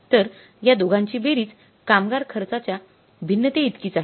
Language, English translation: Marathi, So some total of these two is equal to the labor cost variance